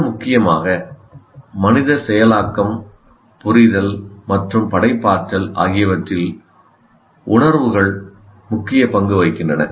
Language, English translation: Tamil, And much more importantly, emotions play an important role in human processing, understanding and creativity